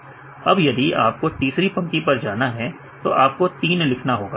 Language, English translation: Hindi, So, if you want to go to the third line right then you put the 3